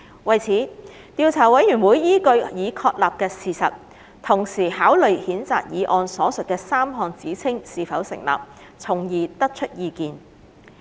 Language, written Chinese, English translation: Cantonese, 為此，調查委員會依據已確立的事實，同時考慮譴責議案所述的3項指稱是否成立，從而得出意見。, In doing so the Investigation Committee bases its views on the facts established and considers whether the three allegations stated in the censure motion are substantiated